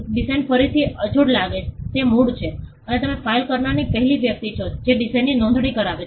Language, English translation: Gujarati, Design again the design looks unique it is original and you are the first person to file that design it gets a registration